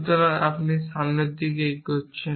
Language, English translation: Bengali, So, you have moving in the forward direction